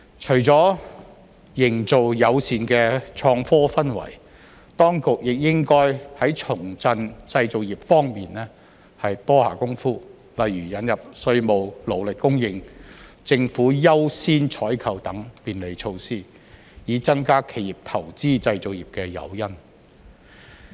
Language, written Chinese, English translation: Cantonese, 除了營造友善的創科氛圍，當局亦應該在重振製造業方面多下工夫，例如引入稅務、勞力供應、政府優先採購等便利措施，以增加企業投資製造業的誘因。, Apart from creating a favourable environment for innovation and technology the authorities should also do more on reviving the manufacturing industry for example by introducing facilitation measures in taxation labour supply and priority procurement by the Government in order to provide more incentives for enterprises to invest in the manufacturing industry